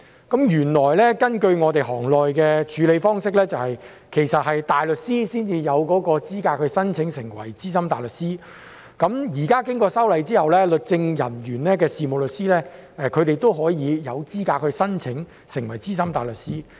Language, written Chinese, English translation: Cantonese, 根據我們行內的處理方式，其實大律師才有資格申請成為資深大律師，現在經過修例後，任職律政人員的事務律師也有資格申請成為資深大律師。, According to the practice in our profession actually only barristers are eligible to become SC . Now following the amendment solicitors working as legal officers are also eligible to become SC